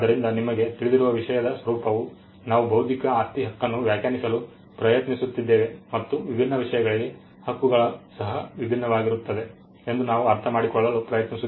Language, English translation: Kannada, So, the nature of the subject matter you know we are trying to define intellectual property right and we are trying to understand that the subject matter can be different for different rights